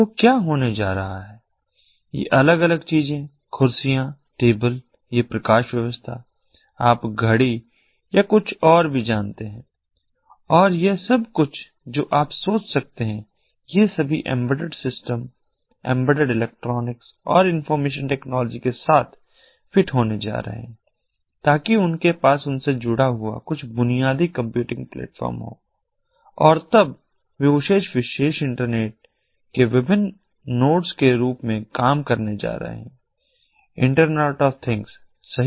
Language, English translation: Hindi, so what is going to happen is these different things the chairs, the tables, these lighting system, the you know the watch, ah, ah, anything and everything that you can think of all of these are going to be fitted with embedded systems, embedded electronics and information technology, so that they have some basic computing platform in them, attached to them and in, and then they are going to be acting as different nodes of that particular internet, the iot internet of things